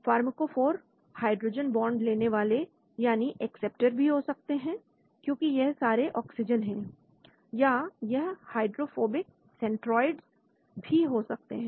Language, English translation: Hindi, Pharmacophores could be say hydrogen bond acceptor because this is all oxygens or it could be a hydrophobic centoroid